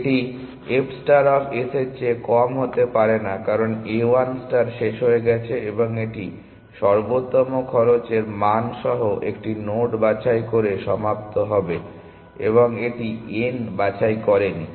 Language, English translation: Bengali, It cannot be less than f star of s, because is a a 1 star has terminated and it will terminate by picking a node with the optimal cost value, and it